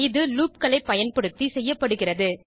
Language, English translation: Tamil, This is done using loops